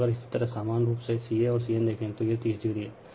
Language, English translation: Hindi, And if you look ca and cn, it is 30 degree right